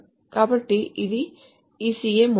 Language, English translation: Telugu, So this is the ECA model